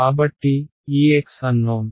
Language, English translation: Telugu, So x n